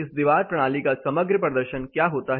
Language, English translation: Hindi, What happens to the overall performance of this wall system